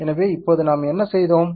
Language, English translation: Tamil, So, now what are we have done